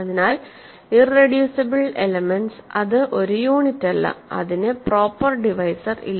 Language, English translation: Malayalam, So, an irreducible element is a element which is not a unit and it has no proper divisors